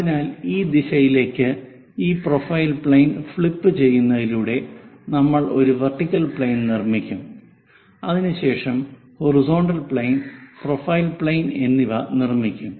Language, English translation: Malayalam, So, by flipping this profile plane in that direction, we will construct a vertical plane followed by a horizontal plane and a profile plane